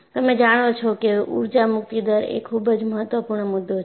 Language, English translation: Gujarati, You know, the energy release rate is a very, very important concept